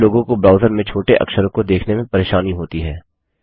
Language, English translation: Hindi, Some people have trouble looking at small script in their browsers